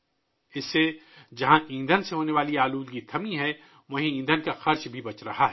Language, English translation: Urdu, Due to this, whereas the pollution caused by fuel has stopped, the cost of fuel is also saved